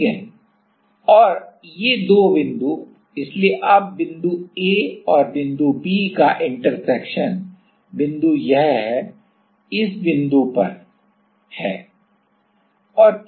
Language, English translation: Hindi, And, these two points, so, now the intersection is at this point A and B point is at this